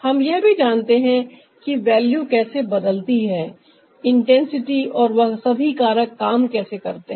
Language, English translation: Hindi, and we also know that how the value change, saturation, intensity and all other factors they work